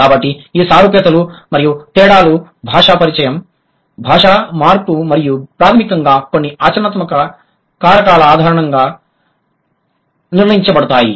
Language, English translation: Telugu, So these similarities and differences there would be decided on the basis of certain language contact, language change and basically some pragmatic factors